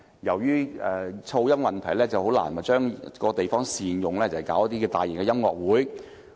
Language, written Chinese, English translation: Cantonese, 由於噪音問題，難以善用場地來舉行大型音樂會。, The noise problem has rendered it difficult to hold large - scale concerts at the stadium